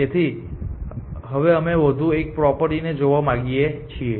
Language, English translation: Gujarati, So, now we want to look at 1 more property and this is as for